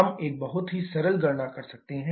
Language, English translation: Hindi, We can have a very simple calculation